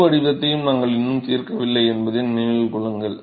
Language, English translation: Tamil, Remember that we still have not solved the full profile